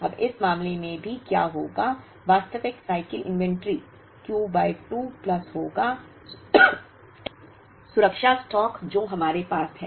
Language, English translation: Hindi, Now, in this case what will also happen is the actual cycle inventory will be Q by 2 plus the safety stock that we have